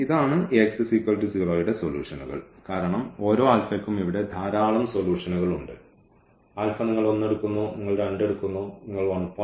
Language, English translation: Malayalam, And, this the solution the solutions of this Ax is equal to 0 because there are so many solutions here for each alpha, alpha you take 1, you take 2, you take 1